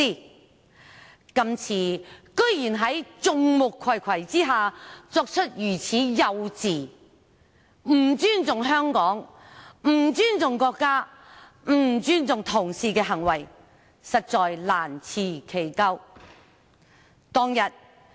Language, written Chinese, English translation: Cantonese, 他今次居然在眾目睽睽下作出如此幼稚、不尊重香港、不尊重國家、不尊重同事的行為，實在難辭其咎。, This time under the full gaze of the public he did an act so very childish disrespectful to Hong Kong disrespectful to the country and disrespectful to colleagues for which he can hardly absolve himself of the blame